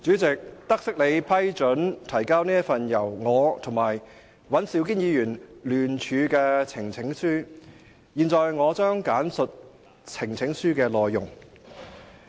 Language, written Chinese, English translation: Cantonese, 主席，得悉你批准提交這份由我和尹兆堅議員聯署的呈請書，現在我將簡述呈請書的內容。, President noting your permission for the presentation of this petition co - signed by Mr Andrew WAN and me I now outline the content of the petition